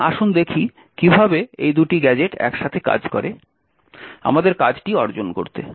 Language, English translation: Bengali, So, let us see how these two gadgets work together to achieve our task